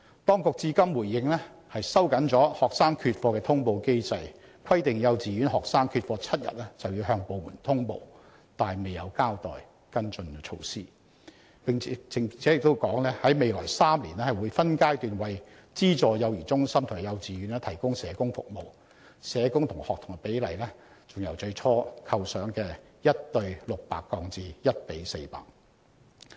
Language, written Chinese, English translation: Cantonese, 當局至今的回應是收緊了學生缺課的通報機制，規定幼稚園學生缺課7天便要向有關部門通報——卻未有交代跟進措施——並在未來3年分階段為資助幼兒中心及幼稚園提供社工服務，社工與學童的比例更由最初構想的 1：600 降為 1：400。, The reaction given by the authorities so far is to tighten the notification mechanism of students absence by requiring kindergartens to report to relevant departments students who have been absent from class for seven days―but with no mention of any follow - up measures―and provide in phases social work services for subvented child care centres and kindergartens in the next three years with the ratio of social workers to students lowered from the originally conceived 1col600 to 1col400